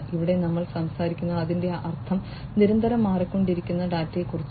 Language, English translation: Malayalam, Here we are talking about the data whose meaning is constantly changing, right